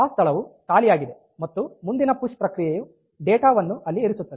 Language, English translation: Kannada, So, that location is empty and the next push operation will put the data there